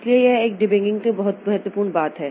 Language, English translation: Hindi, So that debugging is a very important thing